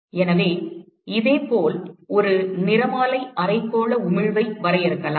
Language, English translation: Tamil, So, similarly one could define a spectral hemispherical emissivity